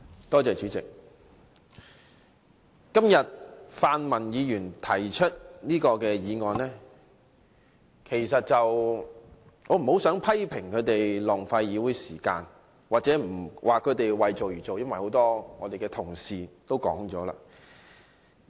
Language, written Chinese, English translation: Cantonese, 對於泛民議員提出的這項議案，我不太想批評他們浪費議會時間或為做而做，因為很多同事已作出這些批評。, Regarding this motion initiated by pan - democratic Members I do not really want to criticize them for wasting the Councils time or for doing it just for the sake of doing it because many of my Honourable colleagues have already made such criticisms